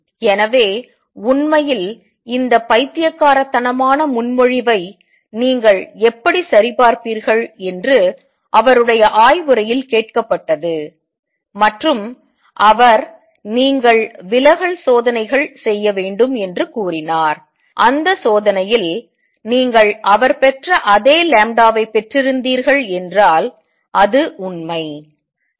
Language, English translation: Tamil, So, in fact, he was asked in his thesis defense this was his thesis how would you check this crazy proposal and he said you do diffraction experiments, and in that experiment if you get the lambda to be the same as obtained by him then it is true